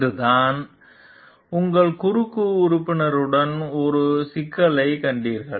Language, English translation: Tamil, Just today you found a problem with your cross member